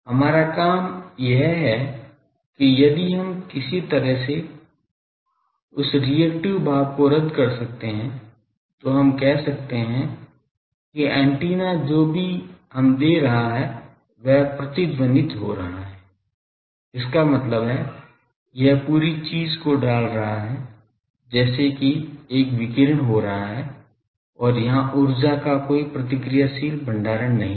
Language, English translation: Hindi, Our job is to make that, if we can somehow cancel that reactive part, then we can say that antenna whatever we are giving it is resonating; that means, it is putting the whole thing into the as a radiation is taking place and there is no reactive storage of energy